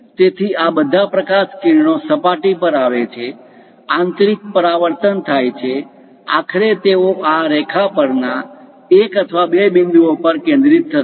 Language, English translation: Gujarati, So, all these light rays come hit the surface; internal reflections happens; finally, they will be focused at one or two points on this line